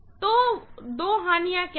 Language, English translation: Hindi, So, what are the two losses